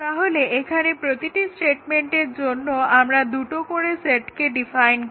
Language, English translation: Bengali, So, here for every statement we define two sets